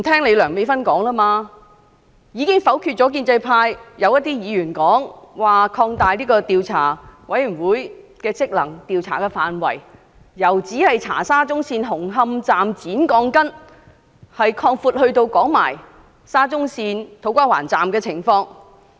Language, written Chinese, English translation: Cantonese, 它已否決一些建制派議員的建議，拒絕擴大調查委員會的職能，將調查範圍由只調查沙中線紅磡站剪鋼筋的事件擴闊至土瓜灣站的情況。, It has turned down the proposals of some Members from the pro - establishment camp refusing to expand the terms of reference of the Commission and widen the scope of inquiry to also cover the situation at To Kwa Wan Station not just the shortened steel reinforcement bars at Hung Hom Station of SCL